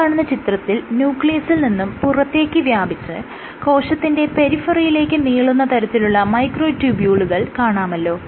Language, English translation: Malayalam, So, in this picture you have the microtubules which are spanning from the nucleus outside the nucleus and spanning till the periphery of the cell